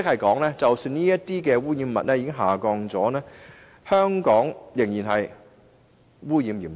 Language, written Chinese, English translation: Cantonese, 換言之，即使污染物的濃度已經下降，香港的空氣污染仍然嚴重。, This means to say that even if the concentrations of these pollutants have dropped air pollution remains serious in Hong Kong all the same